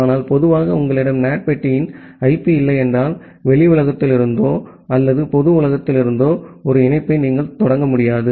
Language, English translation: Tamil, But in general unless you have the IP of the NAT box, you will not be able to initiate a connection from the outside world or from the public world